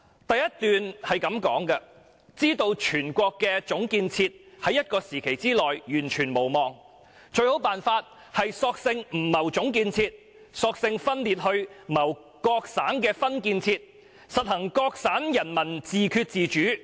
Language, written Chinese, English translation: Cantonese, 第一段是這樣說的："知道全國的總建設在一個期內完全無望，最好辦法，是索性不謀總建設，索性分裂去謀各省的分建設，實行'各省人民自決主義'。, The first quotation reads to this effect When we know there is absolutely no hope of collective development across the country within a certain period the best solution is to simply stop seeking collective development . We may as well break up to seek separate development of provinces and implement self - determination by the people in each province